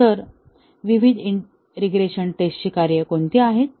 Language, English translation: Marathi, So, what are the different regression testing tasks